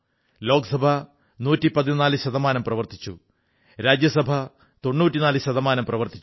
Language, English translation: Malayalam, Lok sabha's productivity stands at 114%, while that of Rajya Sabha is 94%